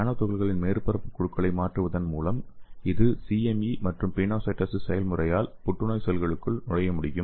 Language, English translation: Tamil, And by changing the nanoparticle surface groups and it can also enter the cancer cells by CME as well as pinocytosis process